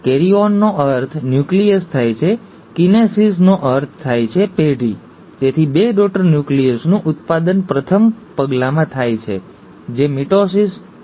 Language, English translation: Gujarati, ‘Karyon’ means nucleus, ‘kinesis’ means generation, so generation of two daughter nuclei happens in the first step, which is mitosis